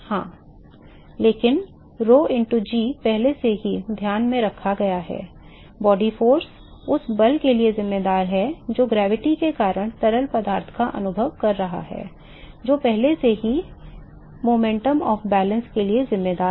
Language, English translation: Hindi, Right, but that is already take into account rho into g is already take into account, the body force accounts for the force that the fluid is experiencing because of gravity, that is already accounted for in the momentum of balance